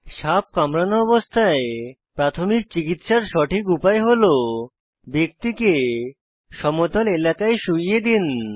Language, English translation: Bengali, The correct way to give first aid in case of a snake bite is Make the person lie down on a flat surface